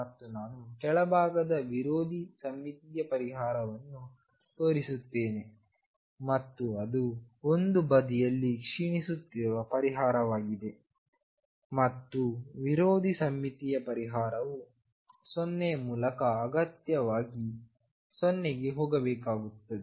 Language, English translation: Kannada, And let me show on the lower side anti symmetric solution and that would be the solution decaying on one side and anti symmetric solution has to go to 0 necessarily through 0